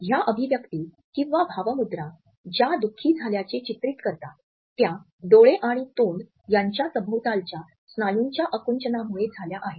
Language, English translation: Marathi, These expressions which are portrayed for being sad are assisted through the contraction of the muscles around eyes and mouth